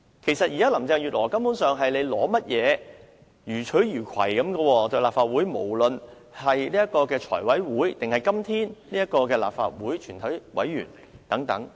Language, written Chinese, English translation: Cantonese, 其實，現在林鄭月娥對立法會予取予攜，無論是在財務委員會或是今天舉行的立法會全體委員會會議......, In fact Carrie LAM could do whatever she wanted to the Legislative Council; at the Finance Committee meeting or the committee of the whole Council today